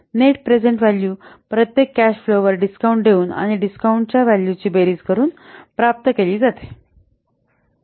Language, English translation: Marathi, The net present value it is obtained by discounting each cash flow and summing the discounted values